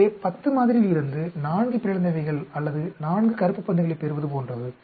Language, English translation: Tamil, So, this is like a we are getting 4 mutants or 4 black ball in a sample of 10